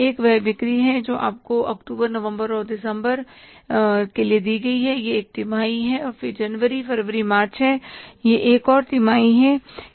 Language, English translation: Hindi, One is the sales you are given is October, November and December, this is one quarter and then January, February, March, this is another quarter